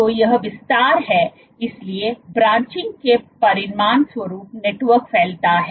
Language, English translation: Hindi, So, network expands as a consequence of branching